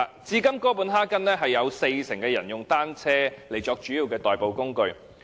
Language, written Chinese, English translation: Cantonese, 至今哥本哈根有四成人以單車作主要的代步工具。, Today 40 % of people in Copenhagen mainly commute by bicycles